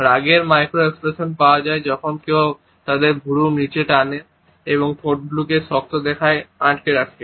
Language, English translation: Bengali, So, number 1 is anger; the anger micro expression is found when someone pulls their eyebrows down and also purses their lip into a hard line